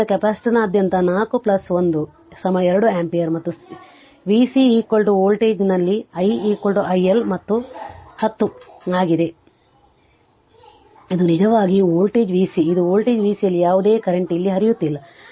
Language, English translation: Kannada, So, i is equal to i L is equal to 10 up on 4 plus 1 is equal to 2 ampere and v C is equal to voltage across the capacitor is actually this is this 1 your this is your voltage v C this is your voltage v C no current is flowing here